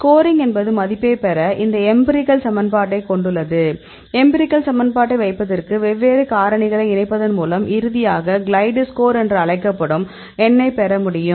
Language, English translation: Tamil, So, the score means they have this empirical equation to get the value; by combining different factors to the put the empirical equation and finally, get a number that it is called the glide score